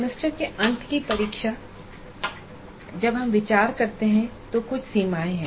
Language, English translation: Hindi, Now the semester end examination when we consider, there are certain limitations